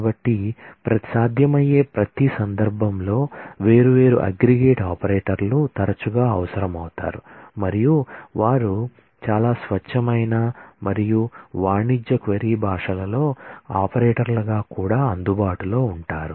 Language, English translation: Telugu, So, in every possible context different aggregate operators are frequently required and they are also available as operators in most of the pure as well as commercial query languages